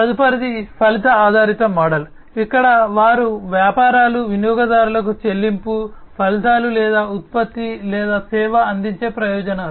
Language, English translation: Telugu, The next one is the outcome based model, where the businesses they deliver to the customers the payment, the outcomes or the benefits that the product or the service provides